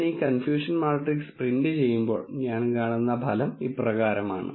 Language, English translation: Malayalam, When I print this confusion matrix, the result what I see is as follows